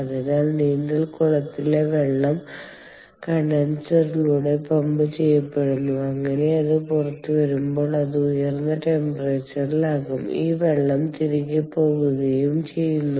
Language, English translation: Malayalam, ok, so the swimming pool water is pumped through the condenser and so that when it comes out it is at an elevated temperature and this water goes back